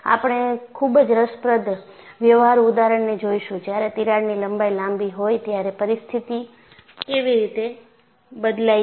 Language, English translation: Gujarati, In fact, we would see very interesting practical examples, in which, how the situation changes, when the crack length is longer